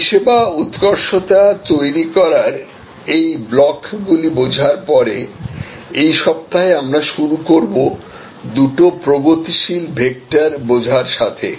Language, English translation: Bengali, Having understood these building blocks of service excellence, this week we will start with the understanding of two progressive vectors